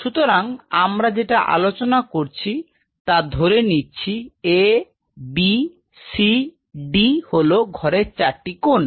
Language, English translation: Bengali, So, what you talked about is that either in So, let us A B C D the 4 corners of a room